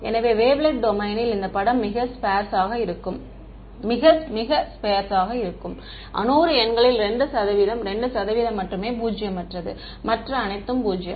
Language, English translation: Tamil, So, in the wavelet domain this image is sparse, very very sparse only 2 percent 2 out of 100 numbers are non zero rests are all zero right